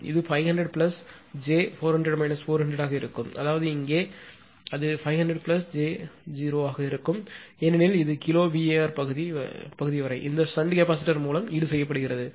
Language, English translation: Tamil, It will be 500 plus j 400 minus 400; that means, here it will be 500 plus j 0 because this is this till kilowatt part is been compensated by this shunt capacitor right